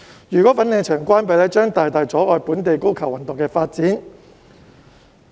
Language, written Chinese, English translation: Cantonese, 如果粉嶺球場關閉，將會大大阻礙本地高爾夫球運動的發展。, If the golf course in Fanling is closed the development of local golf will be greatly hindered